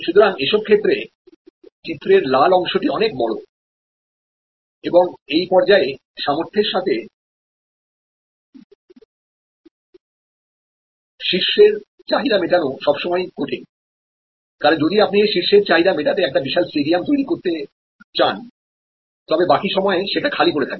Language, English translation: Bengali, So, this is where actually the red part is much bigger and it was always difficult to match this peak demand with respect to capacity available, because if you created a huge stadium to meet that peak demand, rest of the time it will be lying vacant